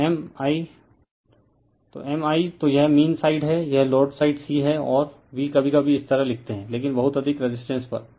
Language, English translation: Hindi, So, m l then this is your mean side this is your load side C and V sometimes you write like this , but at the resistance in very high